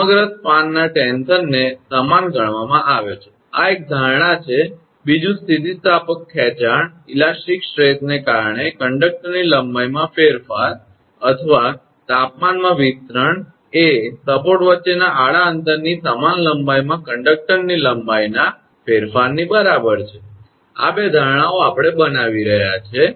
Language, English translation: Gujarati, Throughout the span tension is considered uniform this is one assumption second is the change in conductor length due to elastic stretch or temperature expansion is equal to the change of length of conductor equal in length to the horizontal distance between the support, these two assumptions we are making